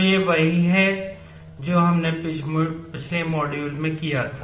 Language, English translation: Hindi, So, this is what we had done in the last module